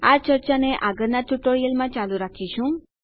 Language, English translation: Gujarati, We will continue this discussion in the next tutorial